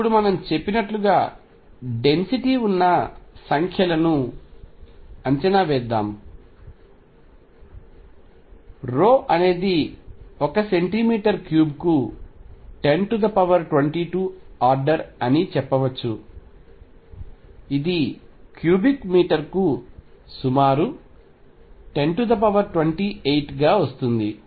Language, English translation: Telugu, Now let us estimate the numbers the density is as I said rho is of the order of 10 raise to 22 per centimeter cubed which comes out to be roughly 10 raise to 28 per meter cubed